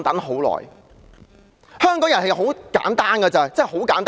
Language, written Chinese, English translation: Cantonese, 香港人很簡單，真的很簡單。, Hongkongers are simple really very simple